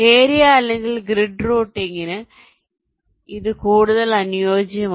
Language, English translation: Malayalam, this is more suitable for area or grid routing